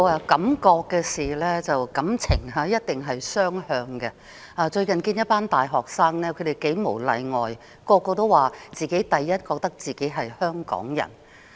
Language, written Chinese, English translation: Cantonese, 感覺和感情一定是雙向的，我最近接見一群大學生，他們無一例外地認為自己是香港人。, Feelings and sensibility are two - way . Recently I received a group of university students . All of them say they are Hong Kong people